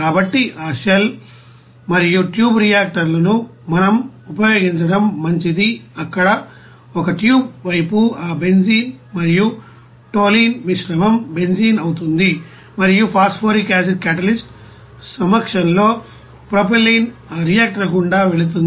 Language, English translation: Telugu, So it is better to use that shell and tube reactors there where in a tube side that mixture of you know that benzene and toluene will be benzene and propylene will be you know passed through that reactor in presence of phosphoric acid catalyst